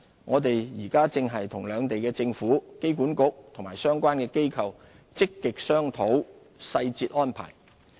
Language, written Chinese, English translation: Cantonese, 我們現正與兩地政府、機管局及相關機構積極商討細節安排。, We are actively discussing the detailed arrangements with the two governments AA and relevant organizations